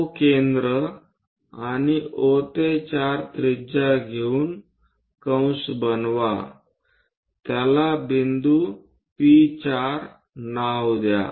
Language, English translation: Marathi, With O as center 4 as radius O to 4 make an arc here to name it P4 point